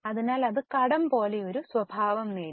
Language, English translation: Malayalam, So, it has acquired a nature like debt